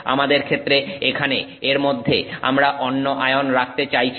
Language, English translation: Bengali, In our case we want to put some other ion in here